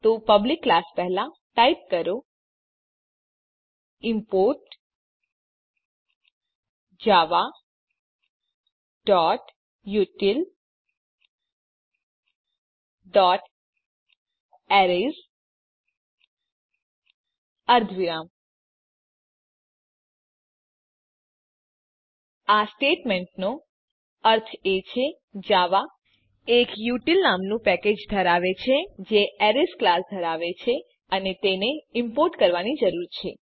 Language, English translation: Gujarati, So Before public class, type import java.util.Arrays semicolon This statement says that java contains a package called util which contains the class Arrays and it has to be imported